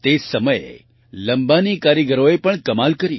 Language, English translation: Gujarati, At the same time, the Lambani artisans also did wonders